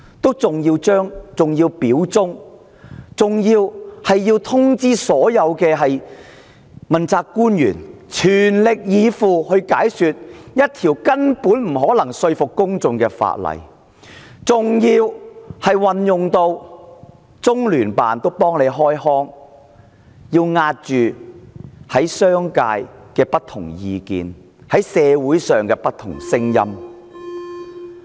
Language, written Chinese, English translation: Cantonese, 她還要表達忠心，還要所有問責官員全力以赴，解說一項根本不可能說服公眾的法案，更動用中央人民政府駐香港特別行政區聯絡辦公室為她開腔，壓抑商界、社會的不同聲音。, Worse still she has to express her loyalty and ask all accountability officials to make their all - out effort to explain an unconvincing bill to the public; and resort to the Liaison Office of the Central Peoples Government in the Hong Kong Special Administrative Region to speak for her and suppress the opposing views of the business sector and in society . Carrie LAM is sickening to look at